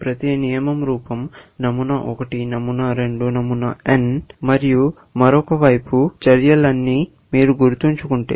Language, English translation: Telugu, If you remember that each rule is of the form pattern 1, pattern 2, pattern n, and some actions on the other side